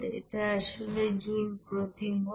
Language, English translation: Bengali, This is basically joule per you know mole